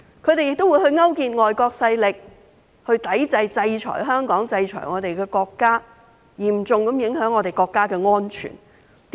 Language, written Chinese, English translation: Cantonese, 他們亦勾結外國勢力，制裁香港及我們的國家，嚴重影響國家的安全。, They also collaborated with foreign forces to sanction Hong Kong and our country thereby seriously impacting national security